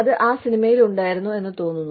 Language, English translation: Malayalam, I think, that was there, in that movie